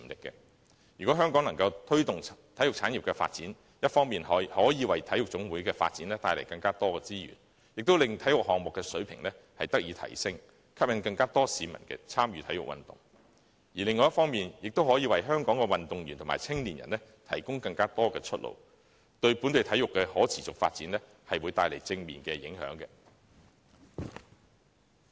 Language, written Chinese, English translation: Cantonese, 若香港能推動體育產業的發展，一方面可以為體育總會的發展帶來更多資源，令體育項目的水平得以提升，並吸引更多市民參與體育運動；另一方面，亦可以為香港的運動員和青年人提供更多出路，為本地體育的可持續發展帶來正面的影響。, If the development of the sports industry can be promoted Hong Kong can on the one hand bring more resources to the development of national sports associations thereby raising the standard of sports and attracting more members of the public to participate in sports and on the other provide more pathways for the athletes and young people in Hong Kong which will have a positive impact on the sustainable development of local sports